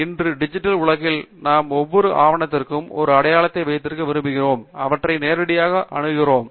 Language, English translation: Tamil, And, today in the digital world, we would like to have an identity for each document such that we will be able to access them directly